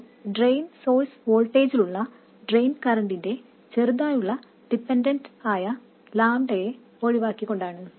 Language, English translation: Malayalam, This is ignoring lambda, this slight dependence of the drain current on the drain source voltage